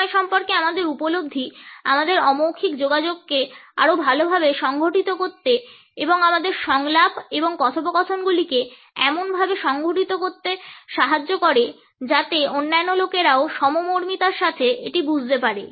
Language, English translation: Bengali, Our understanding of time helps us to organize our nonverbal communication in a better way and to modulate our dialogue and conversations in such a way that the other people can also empathetically understand it